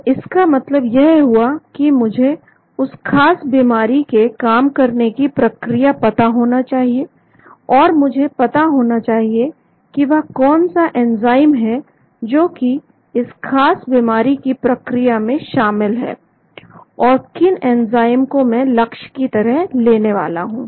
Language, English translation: Hindi, so that means I need to know the mechanism of action of the particular disease, and I need to know what are those enzymes involved in that particular disease process, and which enzyme I am going to target